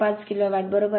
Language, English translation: Marathi, 5 kilo watt right